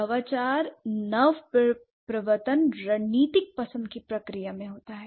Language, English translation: Hindi, Innovation happens in the process, in the process of strategic choice